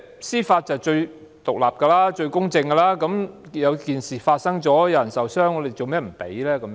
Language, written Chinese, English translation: Cantonese, 司法機構是最獨立和公正的，事情發生了，有人受傷，為何不給予許可呢？, The Judiciary is the most independent and impartial . The incident happened and someone was injured . Why should we not grant the leave?